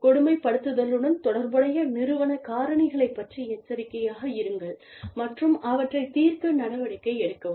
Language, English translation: Tamil, Be aware, of the organizational factors, that are associated with bullying, and take steps, to address them